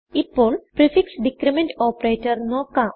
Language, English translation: Malayalam, We now have the prefix decrement operator